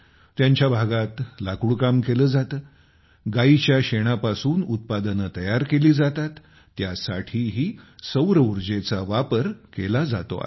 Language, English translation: Marathi, There is timber work in their area, there are products made from cow dung and solar electricity is also being used in them